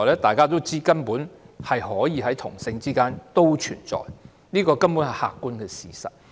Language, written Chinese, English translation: Cantonese, 大家都知道根本可以在同性之間存在，這是客觀的事實。, We all know that it can actually exist between individuals of the same sex . This is an objective fact